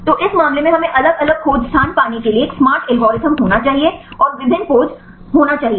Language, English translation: Hindi, So, in this case we need to have a smart algorithm right to get different search space and various poses right